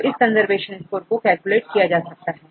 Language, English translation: Hindi, So, another conservation score we calculate ok